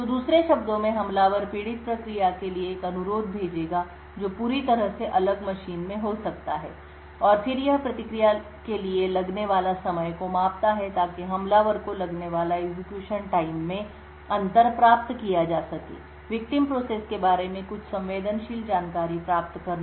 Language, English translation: Hindi, So in other words the attacker would send a request to the victim process which may be in a completely different machine and then it measures the time taken for the response to be obtained the differences in execution time that is measured at the attacker’s end is then used to obtain some sensitive information about the victim